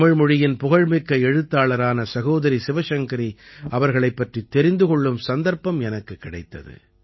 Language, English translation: Tamil, I have got the opportunity to know about the famous Tamil writer Sister ShivaShankari Ji